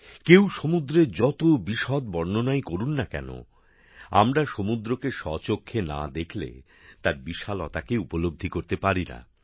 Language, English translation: Bengali, No matter how much someone describes the ocean, we cannot feel its vastness without seeing the ocean